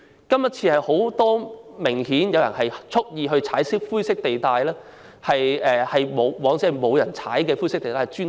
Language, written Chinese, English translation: Cantonese, 今次明顯有很多人蓄意踩灰色地帶，以往則沒有人會這樣做。, Obviously many people have deliberately stepped into grey areas in the Election which was unprecedented